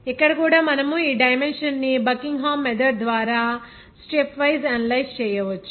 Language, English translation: Telugu, Here also we can analyze this dimension by the Buckingham method by stepwise